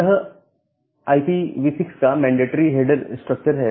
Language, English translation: Hindi, Now, this is the mandatory header structure of IPv6